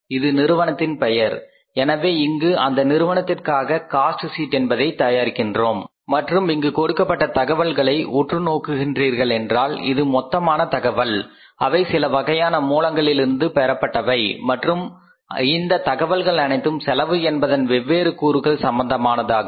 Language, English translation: Tamil, So, we are preparing a cost sheet here and if you look at the information given here is that this is a total information which I have derived from certain source and this information is relating to the all different components of the cost